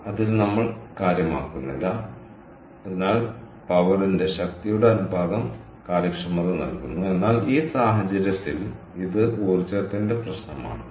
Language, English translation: Malayalam, so the ratio of the power gives the efficiency, but in this case it is an issue of energies, right